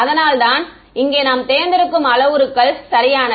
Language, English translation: Tamil, That is those are the parameters that we had chosen over here correct